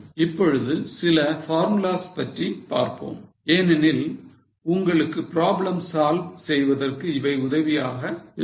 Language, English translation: Tamil, Now some of the formulas because when you want to solve problems the formulas will come handy